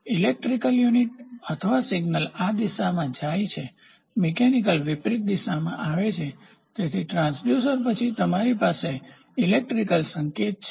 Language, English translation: Gujarati, So, electrical unit or signal is going in this direction going in this direction mechanical comes in the reverse direction; so, after the transducer you have an electrical signal